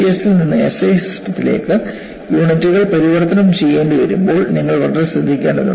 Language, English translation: Malayalam, You know, particularly, when you have to do conversion of units from fps to SI system, you will have to be very careful